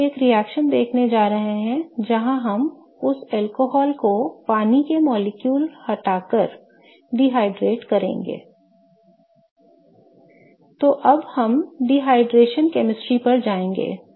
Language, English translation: Hindi, Now we are going to look at a reaction where we will dehydrate that alcohol to remove water molecule from that molecule